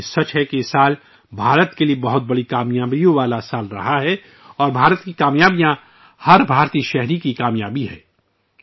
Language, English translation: Urdu, But it is also true that this year has been a year of immense achievements for India, and India's achievements are the achievements of every Indian